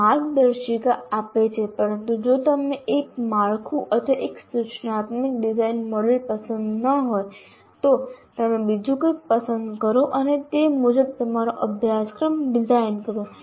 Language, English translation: Gujarati, It provides guidelines, but if you don't like one particular framework or one instructional design model as we call it, you choose something else and design your course according to that